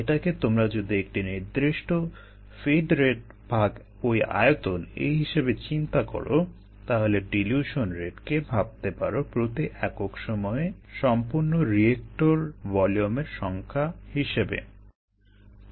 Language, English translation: Bengali, so if you visualize it as certain feed rate divided by the volume, the dilution rate can be interpreted as the number of reactor volumes processed per unit time